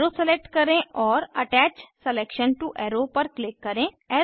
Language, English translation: Hindi, Select Arrow and click on Attach selection to arrow